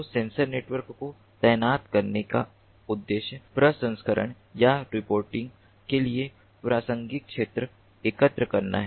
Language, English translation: Hindi, so the purpose of deploying a sensor network is to collect relevant data for processing or reporting, and there are two types of reporting